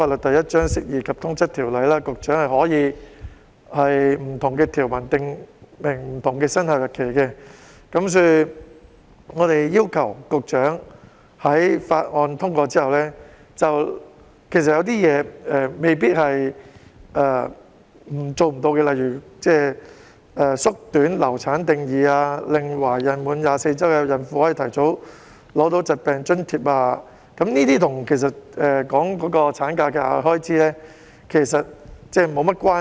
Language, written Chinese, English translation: Cantonese, 其實，根據《釋義及通則條例》，局長可以就不同條文訂明不同的生效日期，所以，我們要求局長在《條例草案》通過後，對於一些未必即時做不到的，例如縮短"流產"定義、令懷孕滿24周孕婦提早取得疾病津貼，其實跟產假的額外開支沒有太大關係。, Actually under the Interpretation and General Clauses Ordinance Cap . 1 the Secretary may designate different commencement dates for different provisions . For that reason we request the Secretary to announce earlier commencement dates for some of the new provisions which are possible to be immediately implemented and not so relevant to the additional costs arising from maternity leave such as those concerning shortening the period under the definition of miscarriage which will enable pregnant women reaching 24 weeks of pregnancy to receive the sickness allowance